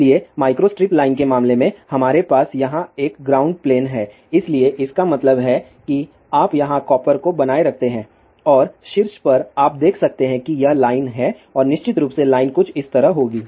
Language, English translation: Hindi, So, in the case of micro strip line, we have a ground plane over here so; that means, you maintain the copper here and on the top you can see this I the line and this of course, line will be something like this